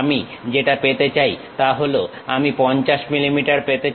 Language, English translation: Bengali, What I would like to have is 50 millimeters I would like to have